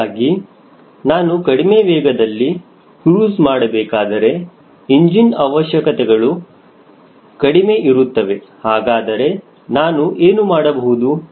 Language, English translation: Kannada, so if i want to cruise at a speed which is lower, so that my engine requirements are less, what option i have got